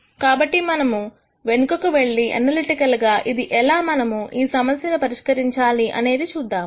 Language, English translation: Telugu, So, let us get back to finding out analytically how we solve this problem